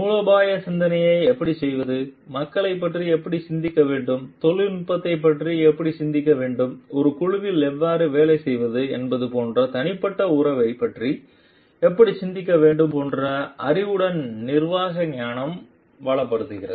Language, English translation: Tamil, And the management wisdom also enriches with the knowledge of like how to do strategic thinking, how to think of the people, how to think of the technology and how to think of the interpersonal relationship how to work in a group